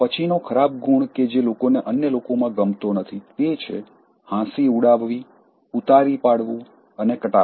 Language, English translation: Gujarati, The next bad trait people do not like in others is, ridiculing, condescending and being sarcastic